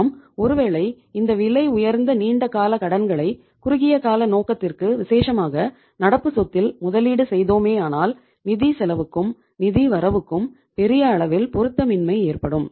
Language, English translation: Tamil, So if you are going to invest very expensive long term borrowings for the short term purposes especially in the current assets which are least productive so there is going to be a mismatch between the financial cost and the financial returns